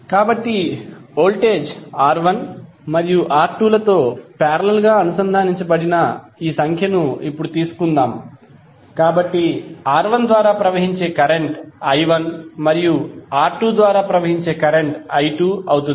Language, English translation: Telugu, So let us take now this figure where voltage is connected to R1 and R2 both which are in parallel, so current flowing through R1 would be i1 and current flowing through R2 would be i2